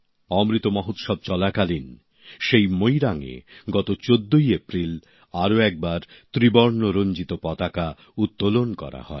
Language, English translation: Bengali, During Amrit Mahotsav, on the 14th of April, the Tricolour was once again hoisted at that very Moirang